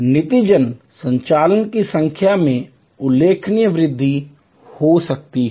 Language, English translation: Hindi, As a result, the number of operations could be enhanced significantly